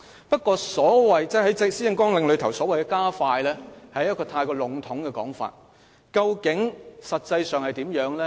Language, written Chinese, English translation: Cantonese, 不過，施政綱領所謂的"加快"，是過於籠統的說法，究竟實際上會怎樣安排呢？, However the word expedite used in the policy agenda is much too vague . What does it mean in actual practice?